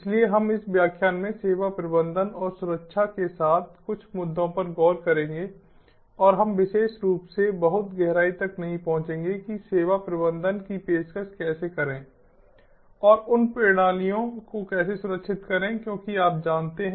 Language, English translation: Hindi, so we will look at some of the issues with service management and security in this lecture and we will not specifically get too much deep into how to offer the service management and how to secure the systems